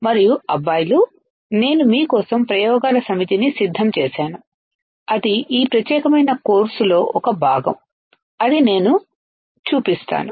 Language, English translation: Telugu, And I have prepared a set of experiments for you guys which I will show is a part of this particular course